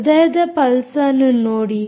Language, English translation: Kannada, see the heartbeat